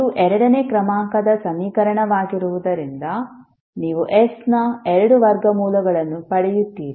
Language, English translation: Kannada, So since it is a second order equation you will get two roots of s